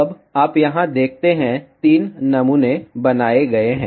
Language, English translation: Hindi, Now, you see here, three samples are created